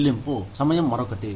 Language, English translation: Telugu, Paid time off is another one